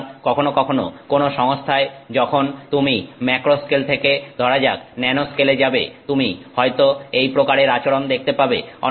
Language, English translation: Bengali, So, sometimes in some systems when you go from the, say, macro scale to the nanoscale, you may see a behavior that looks like this